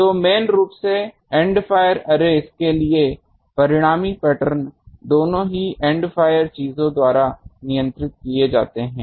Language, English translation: Hindi, So, mainly for End fire arrays, the resultant pattern is both governed by the End fire things